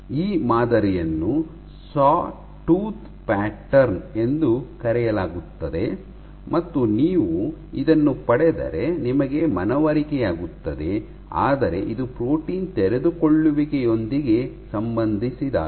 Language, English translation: Kannada, So, this pattern is called a Sawtooth pattern and if you get this then you are convinced but this is associated with protein unfolding